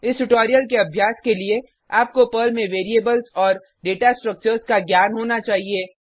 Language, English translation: Hindi, To practise this tutorial, you should have knowledge of Variables Data Structures in Perl